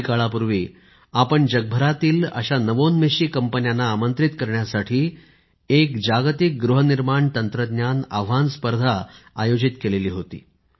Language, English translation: Marathi, Some time ago we had launched a Global Housing Technology Challenge to invite such innovative companies from all over the world